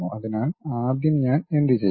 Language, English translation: Malayalam, So, first what I will do